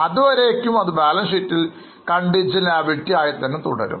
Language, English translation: Malayalam, But as long as nothing of that sort happens, it remains in the balance sheet as a contingent liability